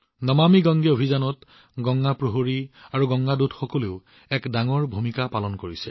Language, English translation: Assamese, In the 'NamamiGange' campaign, Ganga Praharis and Ganga Doots also have a big role to play